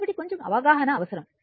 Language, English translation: Telugu, So, little bit understanding is required